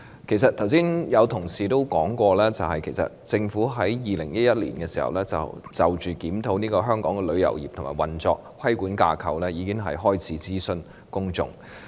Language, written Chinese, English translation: Cantonese, 剛才有同事說過，政府早在2011年，已開始就檢討香港旅遊業的運作和規管架構諮詢公眾。, Just now a fellow colleague said that the Government commenced as early as 2011 a public consultation on the review of the operation and regulatory framework of Hong Kongs travel industry